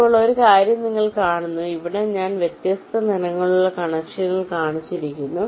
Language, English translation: Malayalam, now one thing: you see that here i have shown the connections by different colors